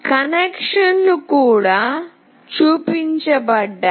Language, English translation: Telugu, The connections are also shown